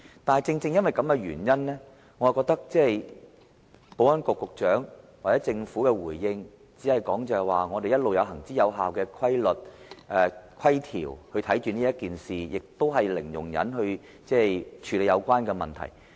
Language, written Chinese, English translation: Cantonese, 但正正因為這個原因，我覺得保安局局長或政府在回應時，不能只說他們一直有行之有效的規條監察此事，而且以零容忍態度處理有關問題。, But precisely because of this I think it will be inadequate for the Secretary for Security or the Government to simply say in response that they have time - tested rules to monitor the issue to which a zero tolerance approach is adopted